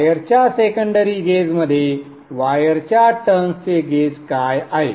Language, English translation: Marathi, Turns in the secondary gauge of the wire, so on